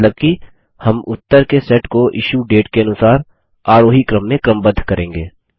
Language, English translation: Hindi, Meaning we will sort the result set by the Issue Date in ascending order